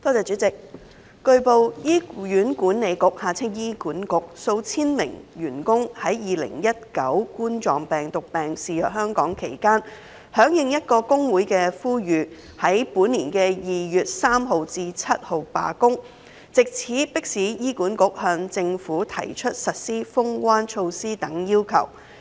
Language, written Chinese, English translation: Cantonese, 主席，據報，醫院管理局數千名員工於2019冠狀病毒病肆虐香港期間，響應一個工會的呼籲於本年2月3日至7日罷工，藉此迫使醫管局向政府提出實施"封關"措施等要求。, President it has been reported that while the Coronavirus Disease 2019 was raging on in Hong Kong several thousand staff members of the Hospital Authority HA responded to a call made by a trade union and went on strike from 3 to 7 February this year in an attempt to press HA to put forward to the Government the demand for implementing border - closing measures etc